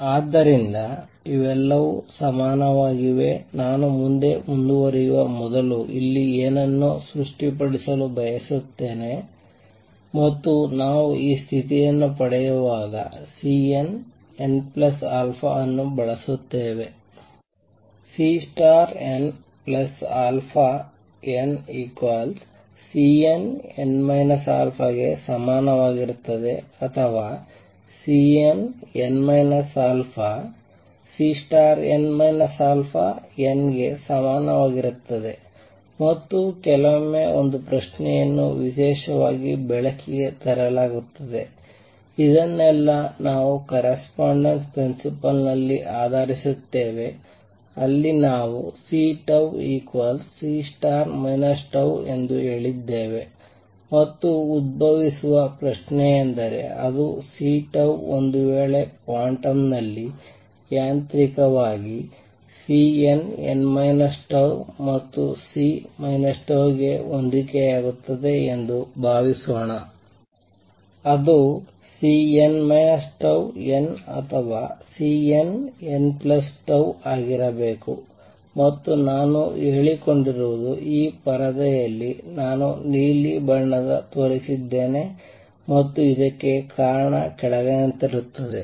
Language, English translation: Kannada, So, these are all equivalent, I just wanted to clarify something here before I proceed further and that is along the way while deriving this condition we use the C N n plus alpha was equal to C star n plus alpha n or equivalently C n, n minus alpha is equal to C star n minus alpha n, and sometimes a question is raised particularly light off that we base all this in correspondence principle, where we have said that C tau was equal to C minus tau star, and the question that arises; question is that C tau suppose it corresponds to in quantum mechanically C n to n minus tau, then C minus tau should it be C n minus tau n or C n, n plus tau that is the question